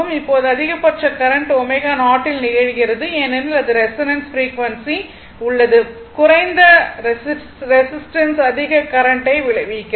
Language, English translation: Tamil, Now, maximum current occurs at omega 0 because, that is at resonance frequency right, a low resistance results in a higher current